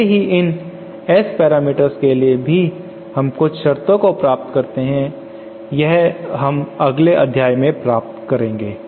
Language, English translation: Hindi, Similarly for these S parameters also we can derive certain conditions and that we shall derive in the next module